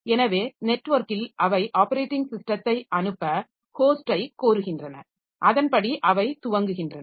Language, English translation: Tamil, So, over the network they request the host to send the operating system and accordingly they boot